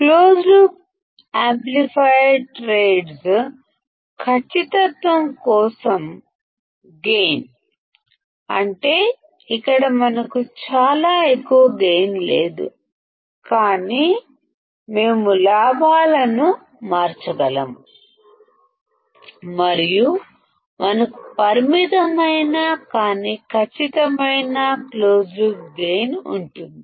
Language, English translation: Telugu, Close loop amplifier trades gain for accuracy; that means, that here we do not have extremely high gain, but we can change the gain and we can have finite, but accurate closed loop gain